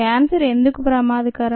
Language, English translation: Telugu, why is cancer dangerous